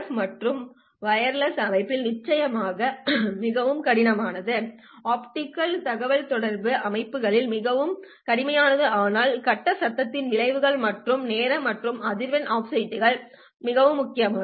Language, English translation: Tamil, And this problem, of course, is very severe in RF and wireless systems, not so much severe in optical communication systems, but these effects of face noise and the timing and frequency offsets is very important